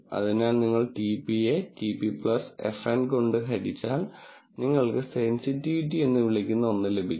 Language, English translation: Malayalam, So, if you divide TP divided by TP plus FN, then you get what is called sensitivity